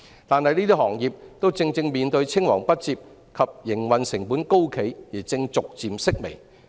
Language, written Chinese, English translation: Cantonese, 但是，這些行業正正面對青黃不接及營運成本高企的問題而正逐漸式微。, Nevertheless these industries which face problems of succession and high operational costs presently are gradually declining